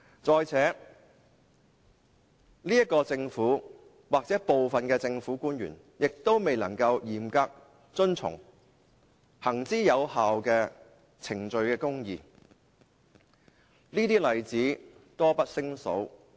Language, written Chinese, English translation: Cantonese, 再者，這個政府或部分政府官員亦未能嚴格遵從行之有效的程序公義，這些例子多不勝數。, Moreover this Government or some of the government officials have failed to comply strictly with proven procedural justice . There are numerous examples